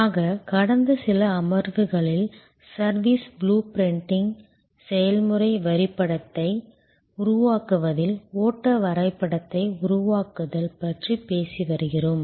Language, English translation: Tamil, So, in the last few sessions, we have been talking about service blue printing, creating the process map, creating the flow diagram